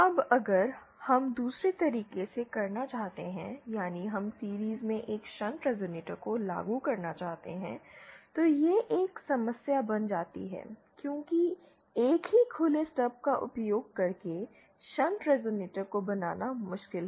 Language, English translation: Hindi, Now if we want to do the other way that is we want to implement a shunt resonator in series, then that becomes a problem because shunt resonators using same open stub is difficult to realise